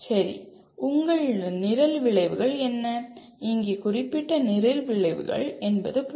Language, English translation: Tamil, Okay, what are your Program Outcomes, here we mean Program Specific Outcomes